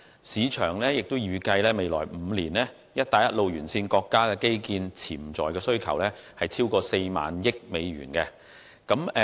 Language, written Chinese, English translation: Cantonese, 市場亦預計在未來5年，"一帶一路"沿線國家的基建潛在需求超過4萬億美元。, The market also predicts that in the next five years the potential demands for infrastructure in the countries along the Belt and Road amount to over US4,000 billion